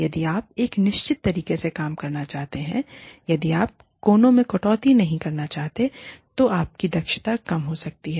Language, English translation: Hindi, If you want to do things in a certain way, if you do not want to cut corners, your efficiency could go down